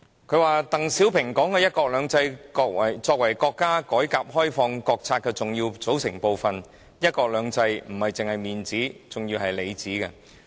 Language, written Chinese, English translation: Cantonese, 他引述鄧小平說的把"一國兩制"作為國家改革開放國策的重要組成部分，"一國兩制"不只是面子，還是裏子。, Quoting DENG Xiaoping he said that one country two systems was an important constituent of the national policy on the reform and opening of China and one country two systems was not just the veneer but also the lining